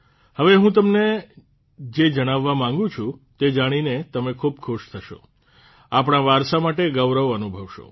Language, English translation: Gujarati, What I am going to tell you now will make you really happy…you will be proud of our heritage